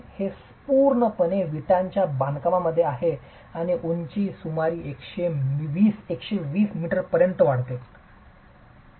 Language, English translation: Marathi, It's completely in brick masonry and rises to about a hundred and twenty meters in height